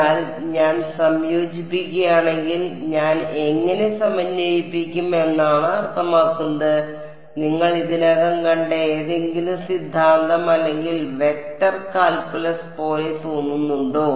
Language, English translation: Malayalam, But if we if I integrate I mean how do I integrate; does it look like some theorem or vector calculus you have already seen